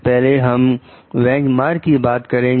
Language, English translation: Hindi, So, first we talk of like benchmarking